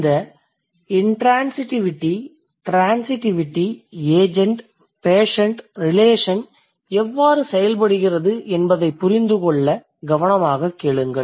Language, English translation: Tamil, I want you to listen to me carefully so that you can figure out you can understand how this intransitivity, transitivity agent, patient relation works